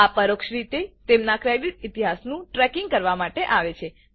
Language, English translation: Gujarati, This is done by indirectly tracking their credit history